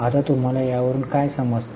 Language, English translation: Marathi, Now what do you understand by it